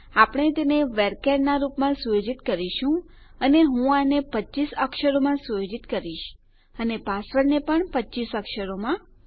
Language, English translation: Gujarati, Next well set them as VARCHARs and Ill set this as 25 characters and the password as 25 characters, as well